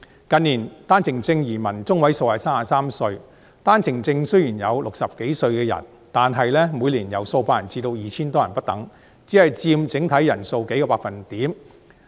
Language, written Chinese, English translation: Cantonese, 近年，單程證移民年齡中位數是33歲，單程證移民雖然也有60多歲的人士，但每年由數百人至 2,000 多人不等，只佔整體人數數個百分點。, The median age of OWP entrants has stood at 33 in recent years . While some OWP entrants are also in their sixties the number of such OWP entrants is within the range of a few hundred and some 2 000 a year and they merely account for a few percentage points of the overall number of OWP entrants